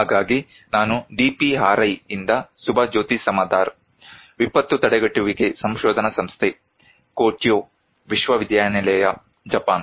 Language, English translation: Kannada, So, I am Subhajoti Samaddar, from DPRI; Disaster Prevention Research Institute, Kyoto University, Japan